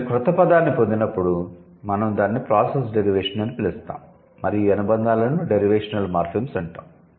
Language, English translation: Telugu, So, when they derive a new word, we call the process derivation and these affixes are known as derivational morphemes